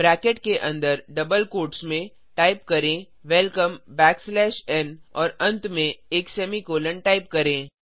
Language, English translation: Hindi, Inside the bracket within the double quotes type Welcome backslash n , at the end type a semicolon